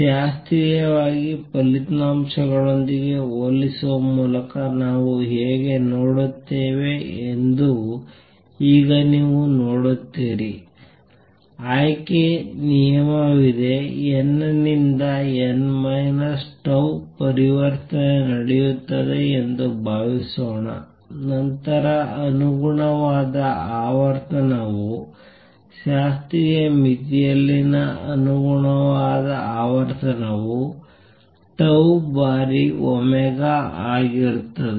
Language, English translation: Kannada, Now you see how we see by comparing with the classical results there is a selection rule suppose n to n minus tau transition takes place, then the corresponding frequency right the corresponding frequency in classical limit will be tau times omega